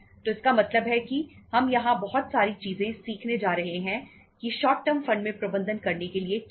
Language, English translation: Hindi, So it means we are going to learn many things here that what is there to manage in the short term funds